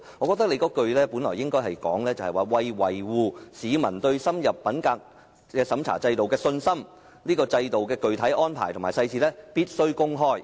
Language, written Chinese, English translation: Cantonese, 我認為該句理應改為："為維護市民對深入審查制度的信心，該制度的具體安排和細節必須公開。, In my view that sentence should be rewritten as In order to maintain peoples confidence in the extended checking system it is necessary to make public the specific arrangements and details of the system